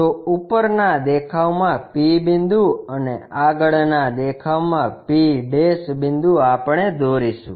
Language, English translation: Gujarati, So, P point in the top view p' point in the front view, we will draw